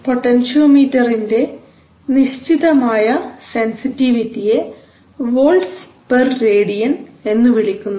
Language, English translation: Malayalam, So there is a certain sensitivity called of the potentiometer is volts per Radian